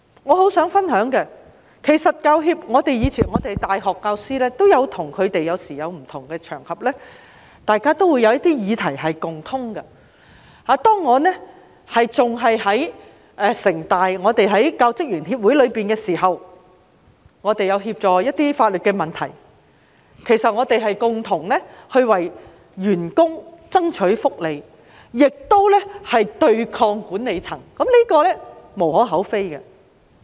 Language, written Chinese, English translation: Cantonese, 我想分享一下，以往在不同場合，大學教師和教協在某些議題上是共通的，當我仍然在香港城市大學的教職員協會時，我們也曾協助處理一些法律問題，共同為員工爭取福利，對抗管理層，這是無可厚非的。, I would like to share this with you . In the past university teachers and HKPTU would find their common ground in certain subject matters on various occasions . When I was a member of the City University of Hong Kong Staff Association we had helped with some legal matters and joined hands to strive for staff benefits and confront the management